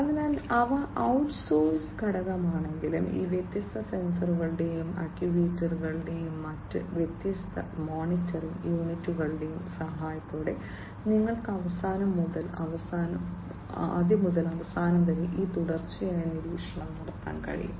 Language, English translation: Malayalam, So, even if they are outsource component, but you know with the help of these different sensors and actuators, and different other monitoring units, you could be end to end this continuous monitoring could be performed